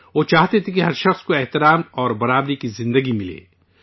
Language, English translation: Urdu, He wanted that every person should be entitled to a life of dignity and equality